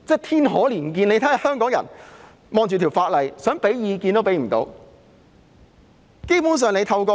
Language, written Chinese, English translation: Cantonese, 天可憐見，香港人對這項法例，想提供意見都不能。, Heaven help us all for Hong Kong people cannot even express opinions on this law